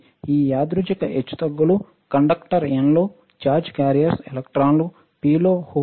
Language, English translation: Telugu, This random fluctuation of charge carriers in the conductor right N is electrons, P are holes